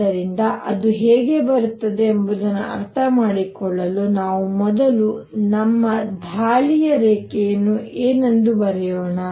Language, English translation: Kannada, So, to understand how it comes about let us first write what is going to be our line of attack as planted